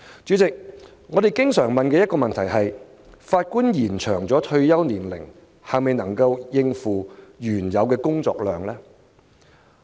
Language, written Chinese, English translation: Cantonese, 主席，我們經常問的一個問題是，延展法官退休年齡是否能夠應付原有的工作量？, President a question frequently asked is whether the existing workload can be coped with by extending the retirement ages of Judges